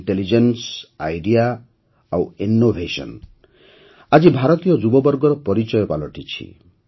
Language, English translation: Odia, 'Intelligence, Idea and Innovation'is the hallmark of Indian youth today